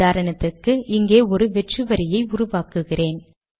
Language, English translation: Tamil, Suppose for example, I create a blank line here